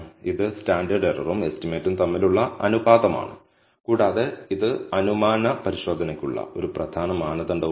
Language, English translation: Malayalam, It is the ratio of estimate by the standard error and it is also an important criterion for the hypothesis testing